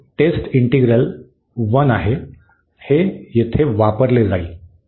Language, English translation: Marathi, This is for test integral – 1, this will be used there